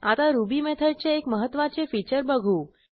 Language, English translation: Marathi, Now I will show you one important feature of Ruby method